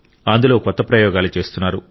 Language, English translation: Telugu, And they are trying out ever new experiments